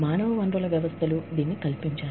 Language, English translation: Telugu, The human resource systems, facilitate this